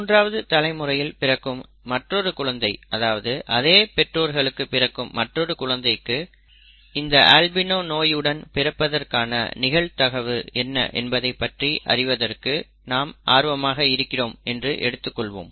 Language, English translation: Tamil, If we are interested in finding the following, if another child in the third generation, in this generation is born to the same parents, what is the probability of that child being an albino, okay